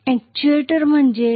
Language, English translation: Marathi, What do we mean by an actuator